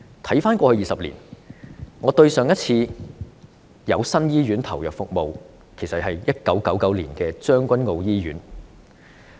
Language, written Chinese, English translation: Cantonese, 回看過去20年，對上一次有新醫院投入服務，是1999年的將軍澳醫院。, Over a period of 20 years the previous commissioning of a new hospital took place in 1999 and it was the Tseung Kwan O Hospital